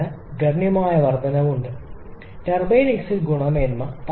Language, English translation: Malayalam, But the bigger problem is the reduction in the turbine exit quality